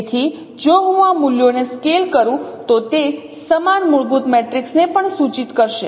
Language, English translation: Gujarati, So if I scale these values, you will also, it will also denote the same fundamental matrix